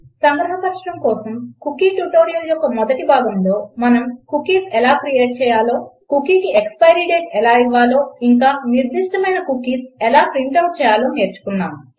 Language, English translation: Telugu, Just to summarise in the first part of the cookie tutorial, we learnt how to create cookies, how to give an expiry date to the cookie and how to print out specific cookies